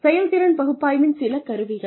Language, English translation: Tamil, Some tools of performance analysis